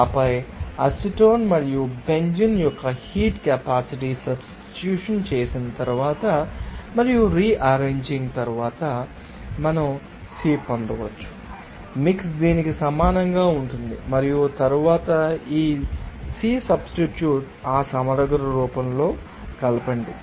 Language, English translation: Telugu, And then after substitution of the heat capacity of acetone and benzene, and after rearranging we can get the Cp,mix will be equal to this and then substitution of this Cp,mix in that integral form